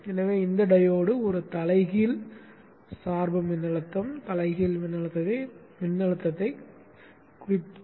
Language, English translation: Tamil, So this diode sees a reverse biased voltage, reverse voltage, therefore it is reversed biased and is off